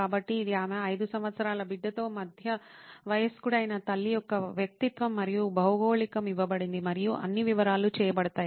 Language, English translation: Telugu, So, this is her persona of a middle age mother with her 5 year child and the geography is given and all the detailing is done